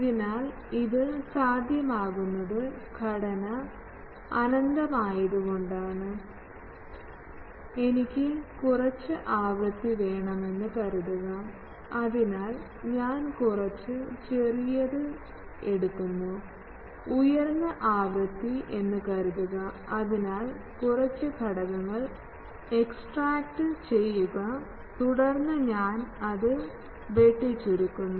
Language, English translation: Malayalam, So, that is why it is possible that though this structure is infinite, we can, depending on our lower and upper things, we can terminate it, suppose I want some frequency, so I take few smaller ones, suppose higher frequency, so extract few elements then I truncate it